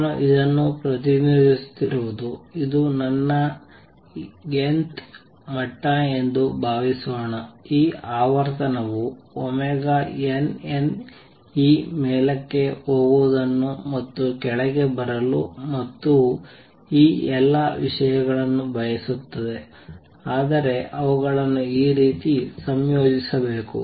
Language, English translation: Kannada, Suppose this is my nth level what I am representing this, this frequency omega n n minus either would like this going up and coming down and all these things, but they have to be combined in this manner